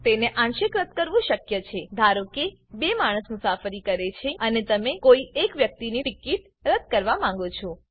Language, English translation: Gujarati, It is possible to cancel partially, Suppose 2 people travel and you want to cancel the ticket of any one person